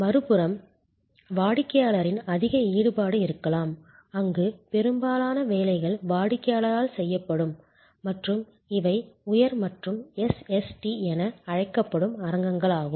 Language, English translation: Tamil, On the other hand, there can be high involvement of customer, where most of the work will be done by the customer and these are the arenas of so called high and SST